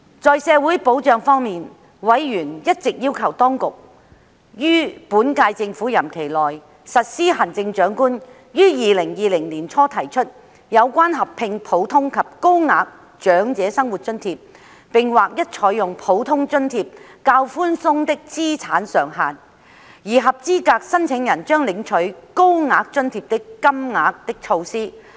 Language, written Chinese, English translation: Cantonese, 在社會保障方面，委員一直要求政府當局於本屆政府任期內實施行政長官於2020年年初提出的措施，合併普通及高額長者生活津貼並劃一採用普通津貼較寬鬆的資產上限，而合資格申請人將領取高額津貼的金額。, On social security members had been requesting the Administration to implement the initiative proposed by the Chief Executive in early 2020 to combine the Normal Old Age Living Allowance OALA and the Higher OALA within the current term of the Government with the more lenient asset limits of the Normal OALA adopted across - the - board and eligible applicants would receive payment at the Higher OALA rate